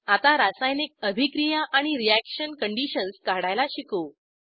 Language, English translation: Marathi, Now lets learn to draw chemical reactions and reaction conditions